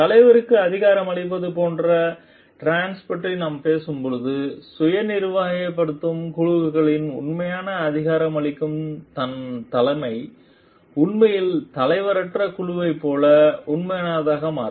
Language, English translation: Tamil, When we are talking of trance like empowering leadership in true empowering leadership actually in self managed teams they it becomes a real like leaderless group